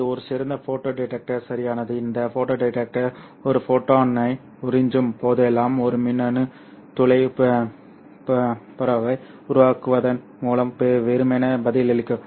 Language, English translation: Tamil, So this is an ideal photo detector and this photo detector simply responds by generating one electron whole pair whenever it absorbs one photon